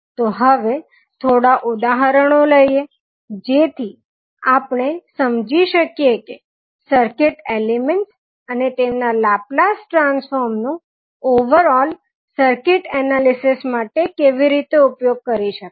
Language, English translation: Gujarati, So now, let us take some examples so that we can understand how we will utilize the circuit elements and their Laplace transform in the overall circuit analysis